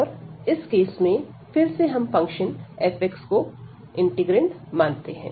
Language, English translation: Hindi, And in this case again, we take this integrand as this f x function